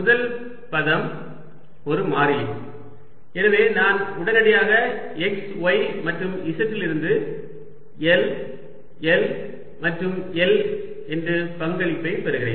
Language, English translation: Tamil, first term is a constant, so i get immediately l, l and l contribution from x, y and z and therefore i get l cubed from the first term plus for the second term